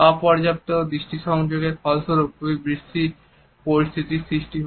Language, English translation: Bengali, Inadequate eye contact results in very awkward situations